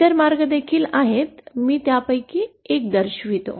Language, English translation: Marathi, There are other ways also IÕll show one of them